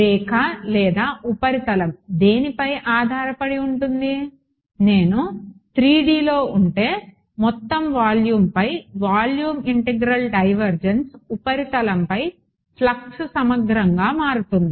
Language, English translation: Telugu, Line or surface depending on what so if I in 3D a volume integral divergence over entire volume becomes a flux integral over the surface